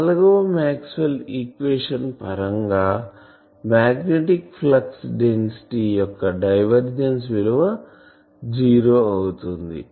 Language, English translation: Telugu, So, again we look at the fourth Maxwell’s equation that divergence of the magnetic flux density is zero